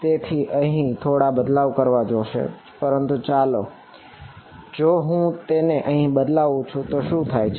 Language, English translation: Gujarati, So some change I will have to make over here, but let us see if I substitute this in here what happens